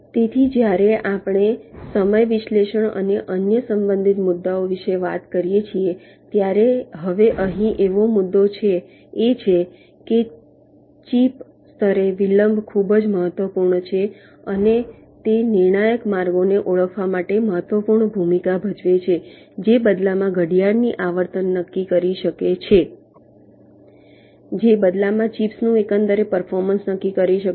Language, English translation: Gujarati, so when we talk about ah, the timing analysis and other related issues, now the issue here is that delay at the chip level is quite important and it plays an important role to identify the critical paths which in turn can determine the clock frequency which in turn can determine the overall performance of the chips